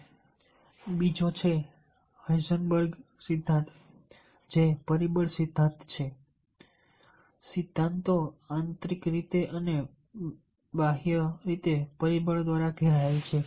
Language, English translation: Gujarati, next is the another is the herzberz's theory, which is a two factor theory